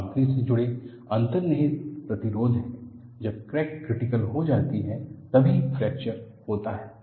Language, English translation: Hindi, There is inherent resistant associated with the material; the crack becomes critical, then only fracture occurs